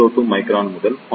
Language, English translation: Tamil, 02 micron to 0